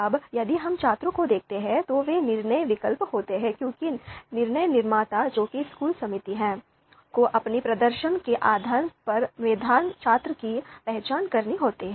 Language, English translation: Hindi, Now if we look at students, they are decision alternatives because the you know decision maker which is the school committee, they have to allocate a scholarship to you know they they need to identify meritorious students based on their performance